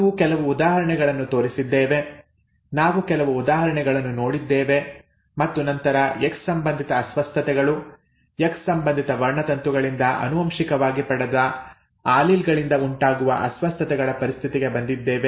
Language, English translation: Kannada, We showed some examples, we looked at some examples and then came to the situation of X linked disorders, the disorders that arise due to alleles that are inherited from X linked chromosomes